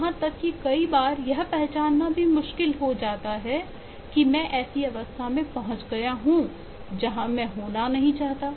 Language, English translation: Hindi, even at times it is very difficult to even identify that I have got into a state which is not where I want to be in